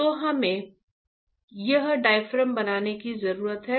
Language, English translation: Hindi, So, we need to create this diaphragm, right